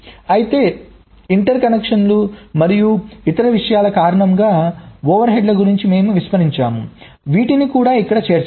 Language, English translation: Telugu, but of course we have ignored the overheads due to interconnections and other things that will also need to be incorporated here